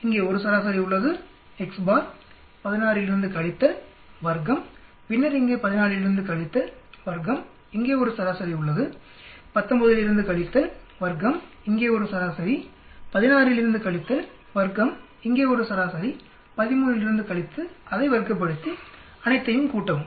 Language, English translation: Tamil, There is a mean here, X s bar, subtract from 16, square it, then mean here subtract from 14, square it, there is a mean here subtract from 19, square it, there is a mean here subtract from 16, square it, there is a mean here subtract from 13, square it, add all of them